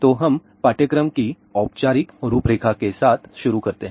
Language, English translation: Hindi, So, lets start with the formal outline of the course